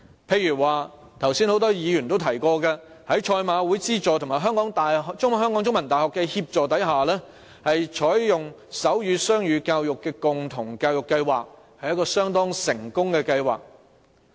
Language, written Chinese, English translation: Cantonese, 譬如多位議員剛才也提過，在賽馬會資助及香港中文大學協助下，他們採取手語雙語共融教育計劃，這是一項相當成功的計劃。, For instance just now a number of Members mentioned that with the help of the Hong Kong Jockey Club HKJC and The Chinese University of Hong Kong CUHK these schools joined the Sign Bilingualism and Co - enrolment in Deaf Education Programme . It was a very successful programme